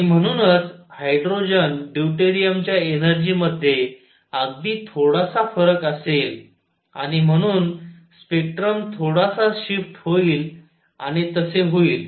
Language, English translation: Marathi, And therefore, there will be slightly slight difference in the energy of hydrogen deuterium and therefore, spectrum would shift a bit and that would